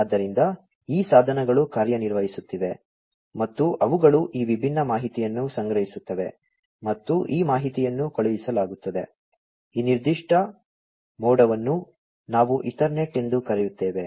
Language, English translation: Kannada, So, these devices are operating and they collect these different information, and this information is sent through, let us say, this particular cloud we call it as the Ethernet